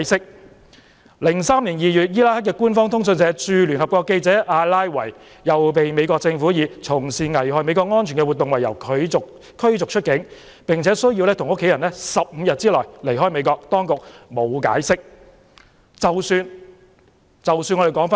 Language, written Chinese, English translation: Cantonese, 在2003年2月，伊拉克官方通訊社駐聯合國記者阿拉維被美國政府以"從事危害美國安全的活動"為由驅逐出境，並需要與其家人在15天內離開美國，當局沒有解釋。, In February 2003 Mohammed ALLAWI the correspondent at the United Nations for the official Iraqi news agency was ordered by the American Government to leave the United States with his family members within 15 days on the grounds that he had been engaged in activities considered to be harmful to the security of the United States and the authorities offered no explanation